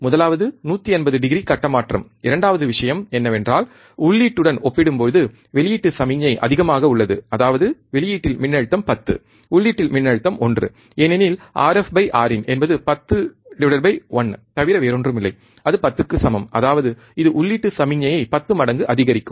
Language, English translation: Tamil, 180 degree phase shift, one thing, second thing was that the output signal is higher compared to the input, that is the voltage at output is 10, voltage at input is 1, because R f by R in R f by R in is nothing but 10 by 1 which is equals to 10; that means, it will amplify by 10 times the input signal